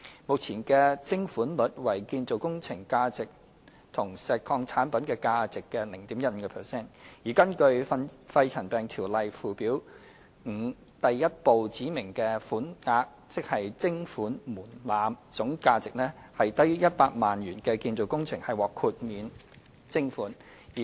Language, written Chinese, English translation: Cantonese, 目前的徵款率為建造工程和石礦產品價值的 0.15%， 而根據《條例》附表5第1部指明的款額，總價值低於100萬元的建造工程獲豁免徵款。, The current levy rate is set at 0.15 % of the value of construction operations and the value of quarry products . Construction operations with total value not exceeding 1 million are exempt from the payment of levy